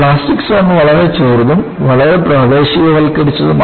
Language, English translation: Malayalam, The plastic zone is very small and highly localized